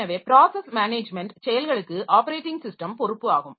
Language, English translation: Tamil, So, this is another responsibility of the operating system